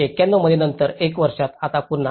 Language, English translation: Marathi, Later within one year in 1991, again another 6